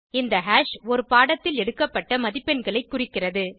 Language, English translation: Tamil, This hash indicates the marks obtained in a subject